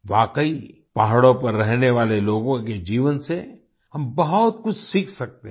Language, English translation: Hindi, Indeed, we can learn a lot from the lives of the people living in the hills